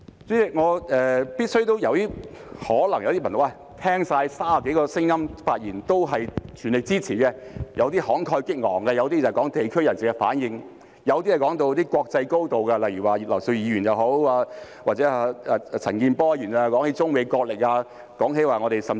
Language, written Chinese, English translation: Cantonese, 代理主席，有些朋友可能會說，聽了30多位議員的發言，也是全力支持的，有些慷慨激昂，有些提到地區人士的反應，有些談到國際高度，例如葉劉淑儀議員和陳健波議員便談到中美角力，甚至提到......, Deputy President some people may say that the 30 - odd Members who have spoken are all fully supportive of the Bill . Some have made most impassioned speeches; some mentioned the response of the locals in districts; some talked about it in an international context . For instance Mrs Regina IP and Mr CHAN Kin - por talked about the wrestling between China and the United States and even mentioned Let me add a point here